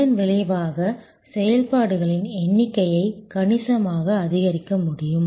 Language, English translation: Tamil, As a result, the number of operations could be enhanced significantly